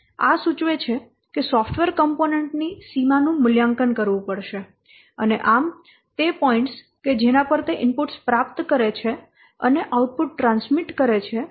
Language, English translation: Gujarati, So this identifies what will the boundary of the software component that has to be assessed and thus the points at which it receives inputs and transmits outputs